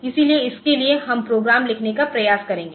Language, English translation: Hindi, So, for this we will try to write the program